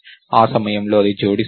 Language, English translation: Telugu, At that point, it will add it